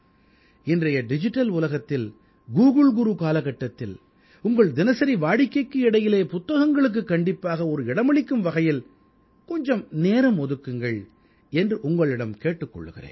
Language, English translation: Tamil, I will still urge you in today's digital world and in the time of Google Guru, to take some time out from your daily routine and devote it to the book